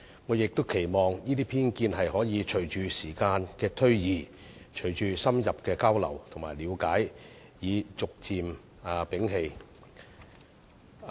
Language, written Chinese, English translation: Cantonese, 我也期望隨着時間推移、隨着深入交流和了解，這些人可以逐漸摒棄對大灣區的偏見。, Hopefully through in - depth exchanges and better understanding they can gradually remove their prejudice against the Bay Area development over times